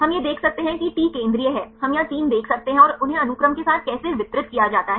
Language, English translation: Hindi, We can see this the T is central, we can see the 3 here and how they are distributed along the sequence